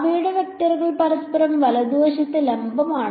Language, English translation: Malayalam, Their vectors are perpendicular to each other right